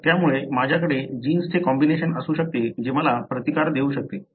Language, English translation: Marathi, So, I may have a combination of the genes that may give me resistance